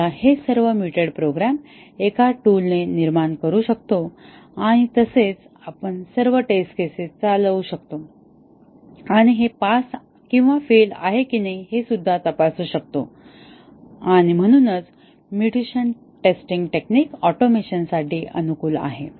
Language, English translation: Marathi, We can generate all these mutated programs through a tool and also, we can run all the test cases and check whether these are passing or failing and therefore, the mutation testing technique is amenable for automation